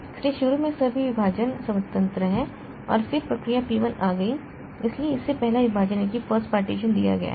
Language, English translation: Hindi, So, initially all the partitions are free and then the process P1 came so it is given the first partition